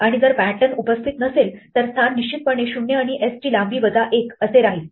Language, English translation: Marathi, And if pattern does not occur, so the positions will there obviously be between 0 and the length of s minus 1